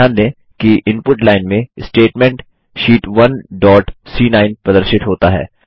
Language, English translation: Hindi, Notice, that in the Input line the statement Sheet 1 dot C9, is displayed